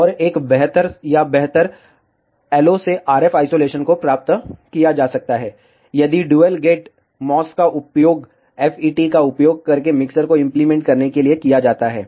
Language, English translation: Hindi, And a better or improved LO to RF isolation can be achieved, if ah dual gate MOS is used to implement a mixer using FETs